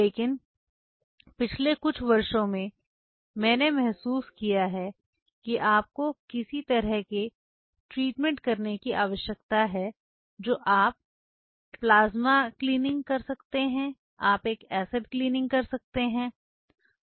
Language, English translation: Hindi, But over the years what I have realized that what is over the case you need to do some sort of a treatment you can do a plasma cleaning, you can do an acid cleaning